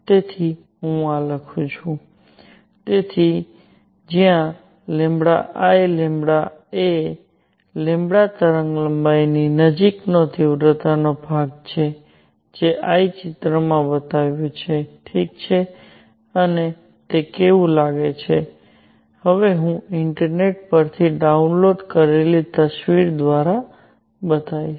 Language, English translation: Gujarati, So, let me write this, so where delta I lambda is the intensity portion near the wavelength lambda as I shown in picture, alright, and how does it look it looks like, I will now show through a picture downloaded from the internet